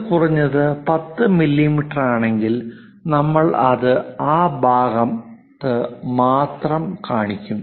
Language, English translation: Malayalam, If it is minimum 10 mm then only we will show it in that side